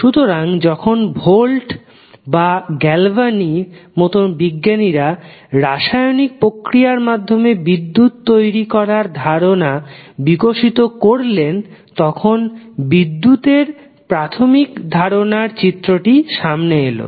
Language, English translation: Bengali, So, basically when the the scientists like Volta and Galvani developed the concept of getting electricity generated from the chemical processes; the fundamentals of electricity came into the picture